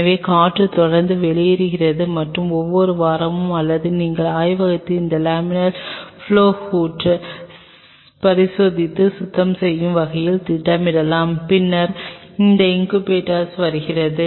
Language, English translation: Tamil, So, that the air continuously flows out and every week or we can schedule your lab in such a way that this laminar flow hood is being inspect it and cleaned then comes your incubator